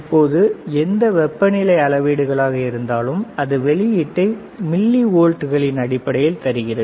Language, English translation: Tamil, Now, whatever temperature is measures it gives the output in terms of millivolts